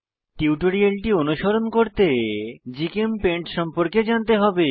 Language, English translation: Bengali, To follow this tutorial, you should be familiar with GChemPaint